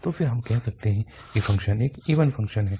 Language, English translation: Hindi, Then we call that the function is an even function